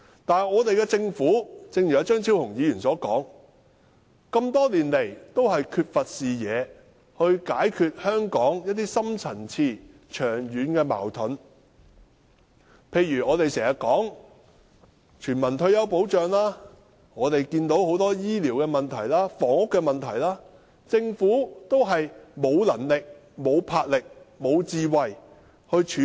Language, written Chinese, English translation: Cantonese, 但是，正如張超雄議員所說，政府多年來缺乏視野去解決香港的深層次長遠矛盾，例如我們經常提出的全民退休保障及醫療和房屋的問題，政府也是沒有能力、沒有魄力、沒有智慧去處理。, However as Dr Fernando CHEUNG has pointed out for years the Government has been lacking a vision to resolve the deep - rooted long - standing conflicts in Hong Kong . For instance the Government has neither the ability the boldness nor the wisdom to handle universal retirement protection health care and housing issues that we have been constantly raising